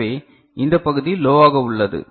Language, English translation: Tamil, So, this part is low